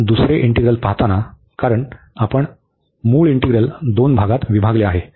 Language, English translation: Marathi, Now, coming to the second integral, because we have break the original integral into two parts